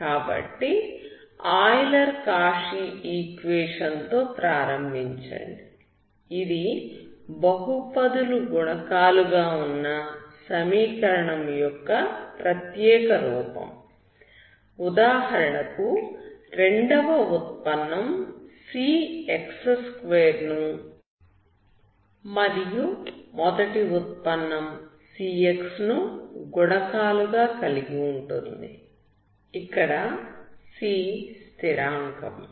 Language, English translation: Telugu, So start with Euler Cauchy equation, it is a special form of the equation where, variables coefficients are simply polynomials, example second derivative will have some c x2, first derivative will have coefficients like cx, where c is the constant